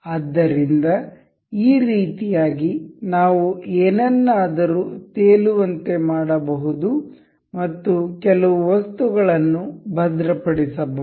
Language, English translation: Kannada, So, in this way we can make something floating and fixed some items